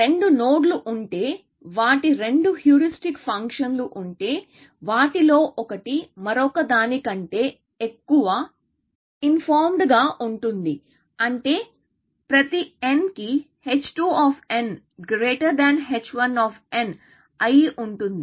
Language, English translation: Telugu, We also saw that if two nodes, if their two heuristic functions, one of them is more informed than the other, which means h 2 of n is greater than h 1 of n, for every n